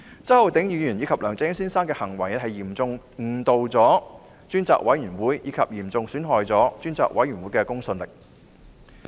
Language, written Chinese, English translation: Cantonese, 周浩鼎議員及梁振英先生的行為嚴重誤導專責委員會，亦嚴重損害專責委員會的公信力。, The behaviour of Mr Holden CHOW and Mr LEUNG Chun - ying had seriously misled the Select Committee and seriously undermined the credibility of the Select Committee